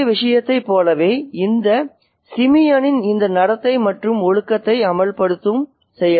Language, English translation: Tamil, So, just as in the previous case, is this behavior of this Simeon an act of enforcing discipline